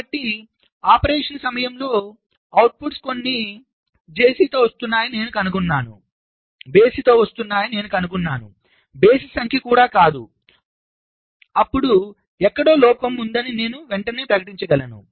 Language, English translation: Telugu, so if during operation i find that some of the output is coming with odd not odd even number of wants, then i can declare immediately that there is a fault somewhere